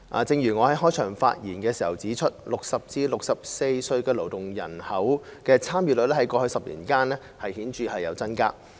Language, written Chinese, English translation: Cantonese, 正如我在開場發言時指出 ，60 歲至64歲勞動人口參與率在過去10年間顯著增加。, I pointed out in my opening speech that there had been a significant increase in the labour force participation rate of people aged between 60 and 64 over the past 10 years